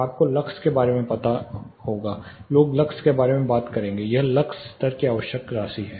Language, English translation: Hindi, You will know something like lux levels, people will talk about lux levels this is required amount of lux level